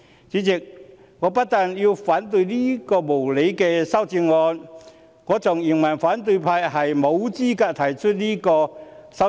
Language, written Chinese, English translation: Cantonese, 主席，我不但要反對這兩項無理的修正案，更認為反對派沒有資格提出這兩項修正案。, Chairman not only will I oppose these two unreasonable amendments but I also think that the opposition are not entitled to propose these two amendments